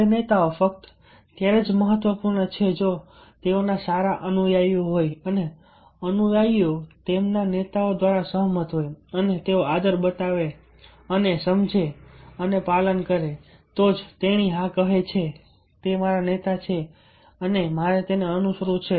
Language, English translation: Gujarati, now, leaders are important only if they are having good followers and the followers are convinced by their leaders and they show respect and understand and follow that, whatever he, she saying, yes, he is my leader and i have to follow him or her